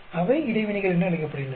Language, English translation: Tamil, They are called interaction